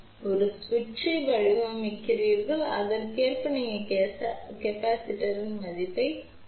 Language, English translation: Tamil, At which you are designing a switch accordingly you calculate the value of the capacitance